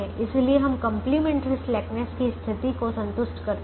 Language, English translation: Hindi, therefore we satisfy complimentary slackness conditions